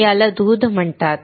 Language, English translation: Marathi, This is called milk